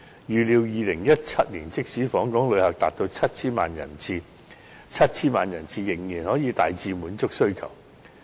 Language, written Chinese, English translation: Cantonese, 預料2017年即使訪港旅客達到 7,000 萬人次，仍可大致滿足需求。, It was estimated that even if the number of visitor arrivals reached 70 million in 2017 the demand could be met in general